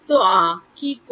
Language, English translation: Bengali, So, what does ah